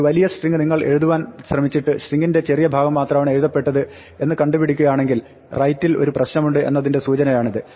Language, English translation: Malayalam, If you try to write a long string and find out only part of the string was written and this is a indication that there was a problem with the write